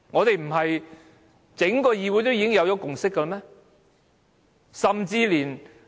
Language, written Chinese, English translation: Cantonese, 不是整個議會都已有共識嗎？, Hasnt the whole Council reached a consensus?